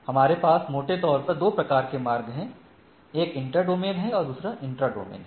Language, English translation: Hindi, So, we have 2 type of broadly routing, one is inter domain and one is intra domain